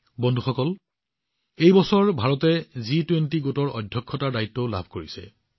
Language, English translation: Assamese, Friends, this year India has also got the responsibility of chairing the G20 group